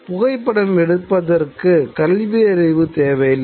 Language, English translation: Tamil, Literacy is not a requirement for photography